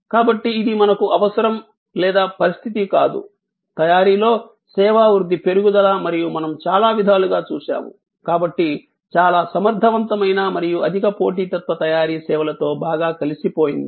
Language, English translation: Telugu, So, it is not either or situation we need therefore, growth in service growth in manufacturing and as we will see in many ways highly competent and highly competitive manufacturing is well integrated with services